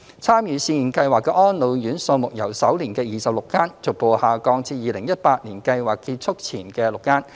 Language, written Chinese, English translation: Cantonese, 參與試驗計劃的安老院數目由首年的26間，逐步下降至2018年計劃結束前的6間。, The number of participating RCHEs dropped gradually from 26 in the first year to six in 2018 right before the completion of the Pilot Scheme